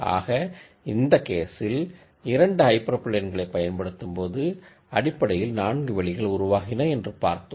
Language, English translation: Tamil, So, in this case when I use this 2 hyper planes I got basically 4 spaces as I show here